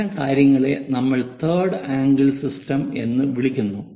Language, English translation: Malayalam, Such kind of things what we call third angle system